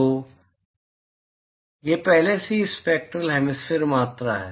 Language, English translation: Hindi, So, it is already spectral hemispherical quantity